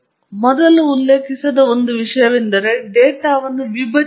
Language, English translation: Kannada, The one thing that I didn’t mention earlier is partitioning the data